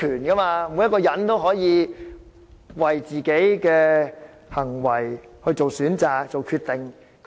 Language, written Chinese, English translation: Cantonese, 人人都要為自己的行為作出選擇和決定。, Everyone must make choices and decisions about their actions